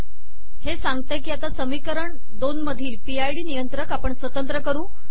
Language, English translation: Marathi, So it says we will now discretize the PID controller given in equation 2